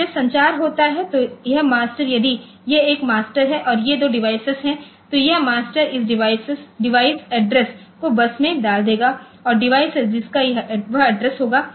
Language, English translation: Hindi, Now, when the communication takes place, this master, so if this is a master and these are two devices then this master will put this device address onto the bus and the device which will be which will have that address